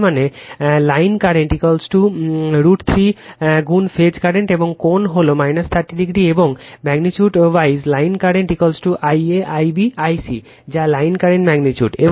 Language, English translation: Bengali, That means, line current is equal to root 3 times the phase current and angle is minus 30 degree right and magnitude wise line current is equal to I a I b I c that is line current magnitude